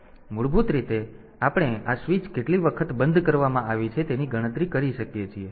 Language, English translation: Gujarati, So, basically, we can count the number of times this switch has been closed